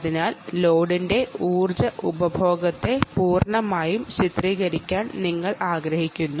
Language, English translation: Malayalam, so, loads, you want to completely characterize the power consumption of the load